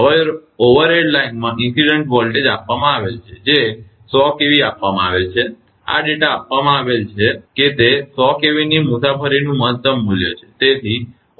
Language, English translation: Gujarati, Now it is given the incident voltage in the overhead line it is given 100 kV, this data is given that it is maximum value of 100 kV travels right